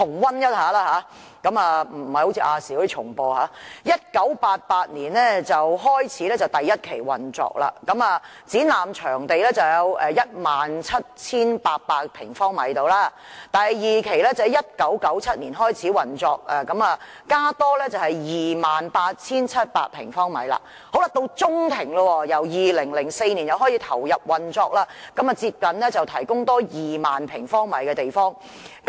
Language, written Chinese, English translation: Cantonese, 會展在1988年開始第一期運作，展覽場地約 17,800 平方米。第二期運作在1997年開始，增加了 28,700 平方米。中庭部分由2004年開始投入運作，多提供接近2萬平方米的空間。, The first phase of HKCEC came into operation in 1988 with an exhibition area of about 17 800 sq m The second phase of operation commenced in 1997 with the exhibition area increased by 28 700 sq m The Atrium Link Extension ALE came into operation since 2004 with the provision of an additional area of nearly 20 000 sq m As regards the income that I mentioned earlier how much income did HKCEC receive from Polytown?